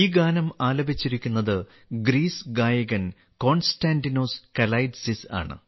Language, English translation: Malayalam, This song has been sung by the singer from Greece 'Konstantinos Kalaitzis'